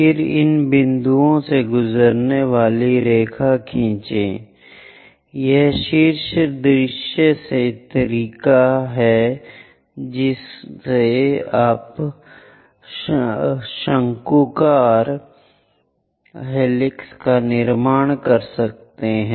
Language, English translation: Hindi, Then draw line passing through these points this is the way from top view the conical helix looks like